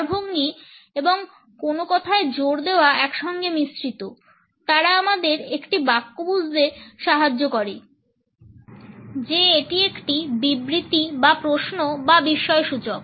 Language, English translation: Bengali, Intonation and a stress blend together; they help us to conclude whether it is a statement or a question or an exclamation